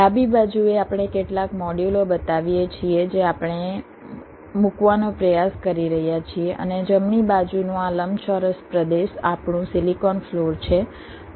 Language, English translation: Gujarati, on the left we show some modules that we are trying to place and this rectangular region on the right is our silicon floor